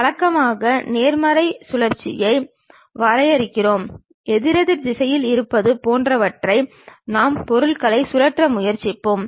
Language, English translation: Tamil, Usually we define positive rotation, something like in counterclockwise direction we will try to rotate the objects